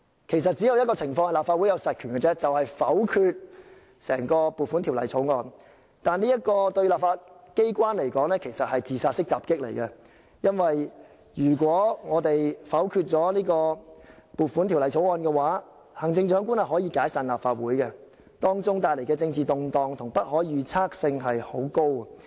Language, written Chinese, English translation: Cantonese, 其實，只有一種情況立法會可以行使實權，便是否決撥款法案，但這對立法機關來說是"自殺式襲擊"，因為如果我們否決了撥款法案，行政長官可以解散立法會，由此帶來的政治動盪和不可預測性極高。, In fact there is only one situation in which the Legislative Council can exercise its real power that is to veto the Appropriation Bill which is nonetheless a suicide bomb to the legislature . The reason is that if we veto the Appropriation Bill the Chief Executive can dissolve the Legislative Council bringing about political turbulence and a high degree of unpredictability